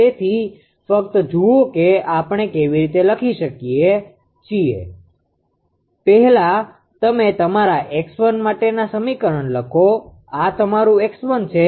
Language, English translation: Gujarati, So, just see how we are writing first you write down the equation for your x 1; this is your x 1 right